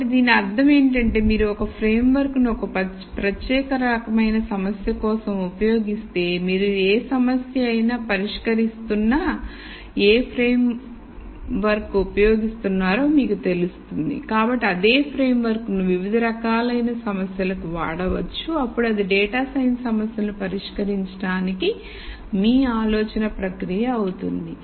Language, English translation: Telugu, So, what I mean by this is if you use whatever framework it is for a particular type of problem you become aware that you are using such a mental framework when you are solving a problem then you can take the same framework to many different problems then that becomes your thought process for solving data science problems